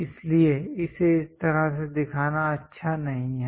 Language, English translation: Hindi, So, it is not a good idea to show it in this way, this is wrong